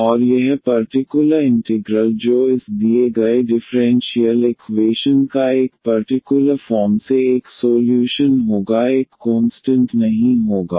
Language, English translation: Hindi, And this particular integral which is a particular a solution of this given differential equation will have will not have a constant